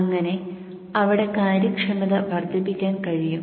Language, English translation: Malayalam, So thereby increasing the efficiency